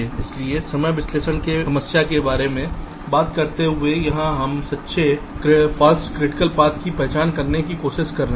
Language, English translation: Hindi, so talking about the timing analysis problem, here we are trying to identify true and false critical paths